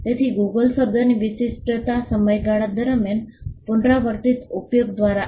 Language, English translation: Gujarati, So, the distinctiveness of the word Google came by repeated usage over a period of time